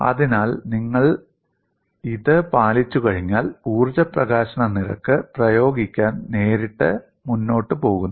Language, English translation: Malayalam, So, once you get the compliance, energy release rate is straight forward to apply